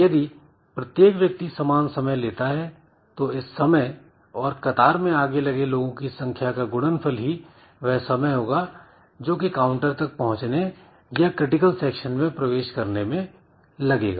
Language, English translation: Hindi, So, if every person takes a fixed amount of time so that time multiplied by number of persons so give me the time for reaching the counter or entering into the critical section